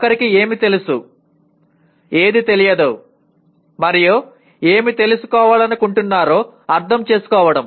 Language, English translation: Telugu, Understanding what one knows and what one does not know and what one wants to know